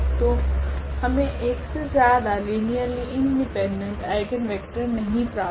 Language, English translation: Hindi, So, we cannot have more than 1 linearly independent eigenvector